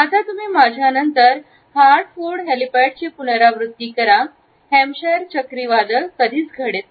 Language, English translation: Marathi, Now you repeat there after me in heart food helipad and Hampshire hurricanes hardly ever happen